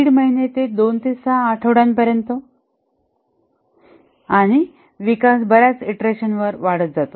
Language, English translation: Marathi, 5 month, 2 to 6 weeks and the development proceeds over many iterations